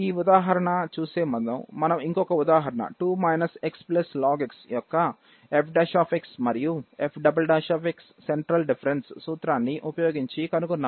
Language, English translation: Telugu, Prior to looking at this example, we looked at the other example 2 minus x plus ln x and computed f dash of x as well as f double dash of x